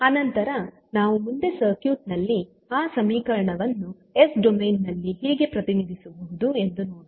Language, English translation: Kannada, So, this we get in the s domain next is how represent that equation in the circuit